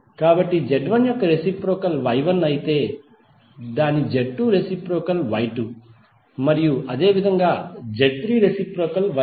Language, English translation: Telugu, So if reciprocal of Z1 is Y1, its Z2 reciprocal is Y2 and similarly for Z3 reciprocal is Y3